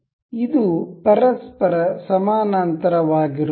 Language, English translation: Kannada, This is parallel to each other